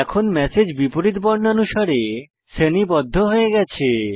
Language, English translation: Bengali, The messages are sorted in the reverse alphabetic order now